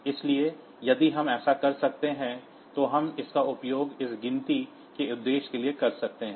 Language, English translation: Hindi, So, if we can do that then, we can use it for this counting purpose